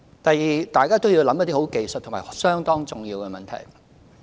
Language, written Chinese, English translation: Cantonese, 第二，大家要思考一些很技術和相當重要的問題。, Secondly we should give thoughts to some very technical and important issues